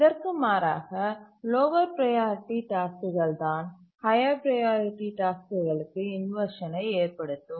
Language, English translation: Tamil, It is the low priority tasks which cause inversions to the higher priority task